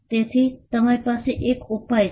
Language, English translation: Gujarati, So, you have a remedy